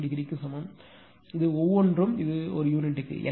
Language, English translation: Tamil, 062 degree right, in per this are all per unit